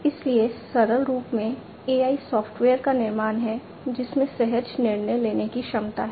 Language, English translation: Hindi, So, in simplistic form AI is a creation of software, having intuitive decision making capability